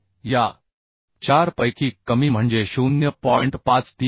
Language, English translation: Marathi, So this is becoming 4